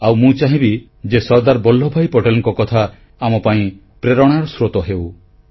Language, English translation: Odia, One ideal of Sardar Vallabhbhai Patel will always be inspiring to all of us